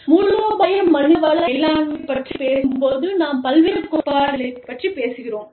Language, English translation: Tamil, So, when we talk about, strategic human resources management, we talk about, various theories